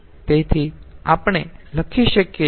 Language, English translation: Gujarati, so we can write